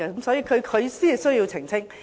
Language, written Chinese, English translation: Cantonese, 所以，他才需要澄清。, Hence he needs to make a clarification